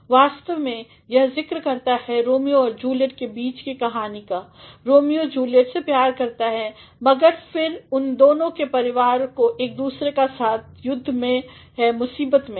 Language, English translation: Hindi, ’’ Actually, this refers to the story between Romeo and Juliet, Romeo loves Juliet, but then the families of both of them are at war with each other, are into trouble